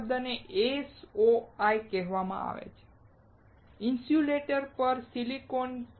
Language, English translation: Gujarati, There is word called SOI; silicon on insulator